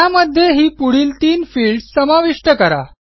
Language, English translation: Marathi, Include the following three fields